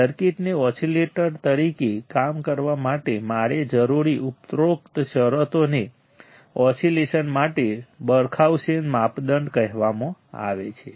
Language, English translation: Gujarati, The above conditions required to work the circuit as an oscillator are called the Barkhausen criterion for oscillation